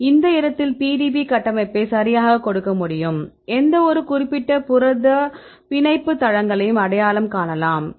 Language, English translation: Tamil, In this case you can give the PDB structure right you can identify the binding sites of any particular protein right